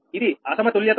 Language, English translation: Telugu, then there is a mismatch